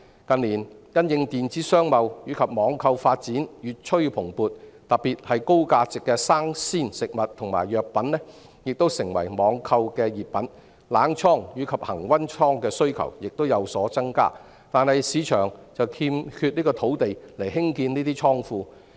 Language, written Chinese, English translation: Cantonese, 近年因應電子商貿和網購發展越趨蓬勃，特別是高價值的生鮮食物和藥品亦成為網購熱品，冷倉和恆溫倉的需求亦有所增加，但市場卻欠缺土地興建這些倉庫。, In recent years in the light of the flourishing development of e - commerce and online shopping especially high - value fresh food and medicines which have become hot items of online trading the demand for cold storage and room temperature storage has increased but there is a lack of land for the development of such storage in the market